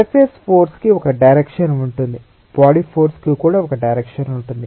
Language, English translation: Telugu, with a surface forces and body force, surface force will have a direction, body force will also have a direction